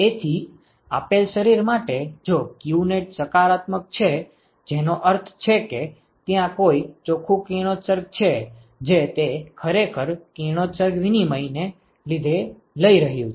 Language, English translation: Gujarati, So, for a given body if qnet is positive right which means that there is a net radiation that it is actually taking because of radiation exchange